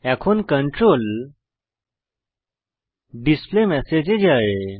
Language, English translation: Bengali, So the control goes to the displayMessage